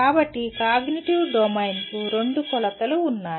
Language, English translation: Telugu, So the cognitive domain has two dimensions